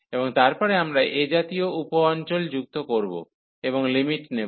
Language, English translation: Bengali, And then we add such sub regions and take the limits